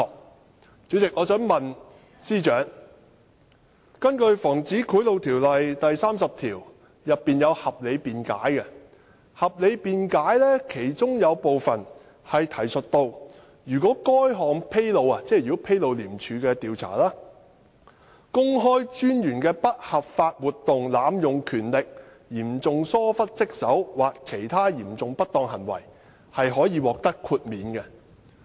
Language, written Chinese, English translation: Cantonese, 代理主席，我想問司長，《防止賄賂條例》第30條訂有合理辯解，當中提述如果該項披露公開專員的不合法活動、濫用權力、嚴重疏忽職守或其他嚴重不當行為，可以獲得豁免。, Deputy President section 30 of POBO provides for a reasonable excuse . It is provided that if the disclosure involves an unlawful activity abuse of power serious neglect of duty or other serious misconduct by the ICAC Commissioner there shall be exemption